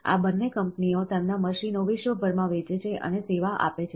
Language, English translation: Gujarati, Both these companies sell and service their machines worldwide